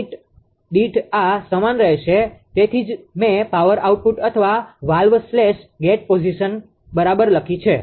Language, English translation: Gujarati, In per unit this will remain same that is why I have written power output or valve slash gate position right